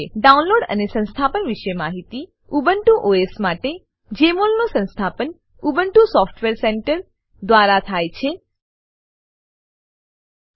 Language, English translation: Gujarati, Information regarding Download and Installation For Ubuntu OS, installation of Jmol is done using Ubuntu Software Center